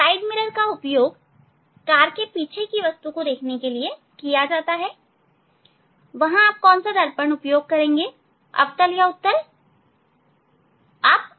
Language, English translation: Hindi, side mirrors are used to see the object backside of the car, there which mirror you will use, concave mirror or convex mirror